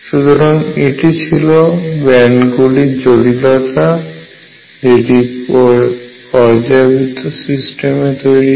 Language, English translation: Bengali, So, this is the implication of bands that arise in a periodic system